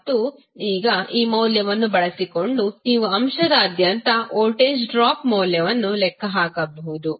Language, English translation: Kannada, And now using this value you can simply calculate the value of voltage drop across the the element